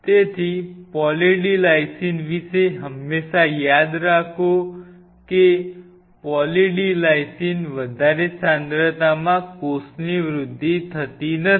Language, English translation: Gujarati, So, always remember one catch about Poly D Lysine is that Poly D Lysine at a higher concentration does not promote cell growth